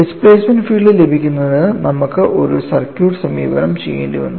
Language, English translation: Malayalam, We had to do a circuitous approach to get the displacement field